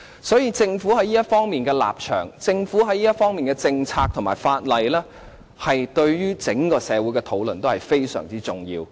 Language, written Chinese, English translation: Cantonese, 所以，政府在這方面的立場、政策和法例，對於整個社會的討論都是非常重要。, Hence the stance policies and legislation of the Government in this respect will have very significant impact on the relevant discussions in the whole society